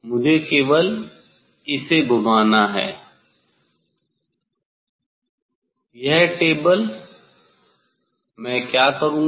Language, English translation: Hindi, only I have to rotate the; this table what I will do